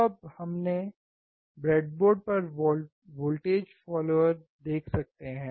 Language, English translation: Hindi, So, now we can see the voltage follower on the breadboard